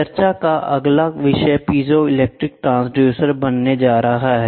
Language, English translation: Hindi, The next topic of discussion is going to be piezo electric transducer